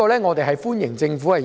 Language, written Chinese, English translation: Cantonese, 我們歡迎政府在這方面的回應。, We welcome the Governments response in this regard